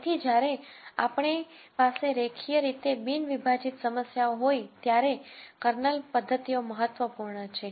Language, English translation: Gujarati, So, Kernel methods are important when we have linearly non separable problems